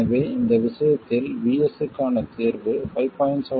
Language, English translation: Tamil, This is the value of VS and VS in this case is 5